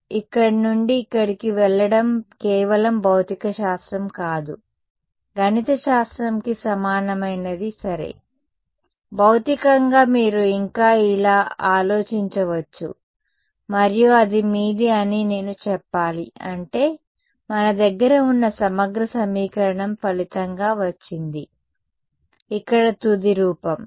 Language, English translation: Telugu, Right; so, this going from here to here is just not physics, but math mathematically its equivalent ok, physically you can still think of it like this and that is your what should I say that that is your I mean the integral equation that, we have got as a result over here is the final form